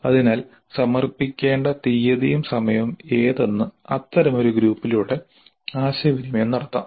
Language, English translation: Malayalam, So date and time of submission can be communicated through such a group